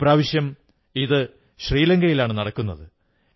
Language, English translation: Malayalam, This year it will take place in Sri Lanka